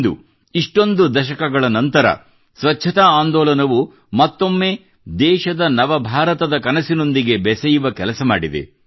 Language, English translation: Kannada, Today after so many decades, the cleanliness movement has once again connected the country to the dream of a new India